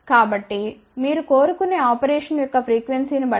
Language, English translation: Telugu, So, depending upon whatever is the frequency of operation you desire